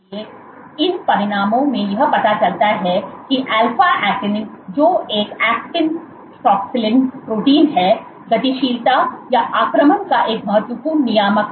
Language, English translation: Hindi, So, these results suggest that alpha actinin which is an actin proxillin protein is a critical regulator of motility or invasion